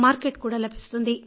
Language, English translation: Telugu, You will get the Market